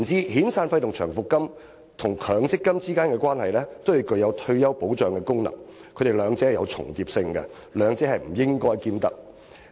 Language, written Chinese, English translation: Cantonese, 遣散費和長期服務金，與強積金均具有退休保障的功能，兩者有所重疊的，不應兼得。, As the function of severance and long service payments as well as MPF is to provide retirement protection the two overlap each other